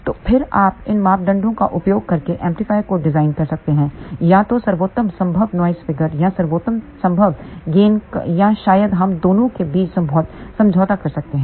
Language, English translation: Hindi, So, then you can design amplifier using these parameters for either best possible noise figure or best possible gain or maybe we may compromise between the two